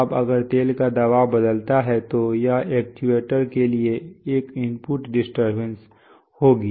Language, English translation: Hindi, Now if the pressure of the oil changes, that would be an input disturbance to the actuator